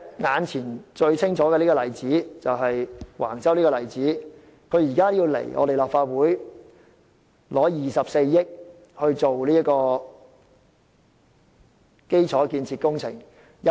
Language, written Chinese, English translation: Cantonese, 運輸及房屋局現時向立法會申請24億元撥款，以進行第1期基礎建設工程。, The Transport and Housing Bureau is currently seeking a funding of 2.4 billion from the Legislative Council for taking forward the infrastructural works in Phase 1